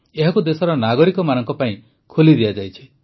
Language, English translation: Odia, It has been opened for the citizens of the country